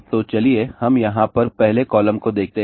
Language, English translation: Hindi, So, let us just look at the first column over here